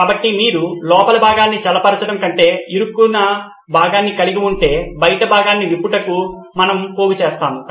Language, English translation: Telugu, So if you have a stuck part rather than cooling the inner part we heap the outer part to loosen it out